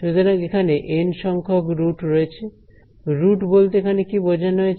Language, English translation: Bengali, So, there are N roots, by roots what do I mean